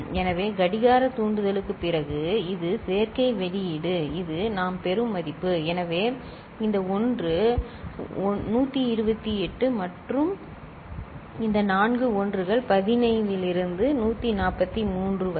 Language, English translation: Tamil, So, after clock trigger this is the adder output this is the value that we get so this 1 is 128 and this four 1s 15 – 143, ok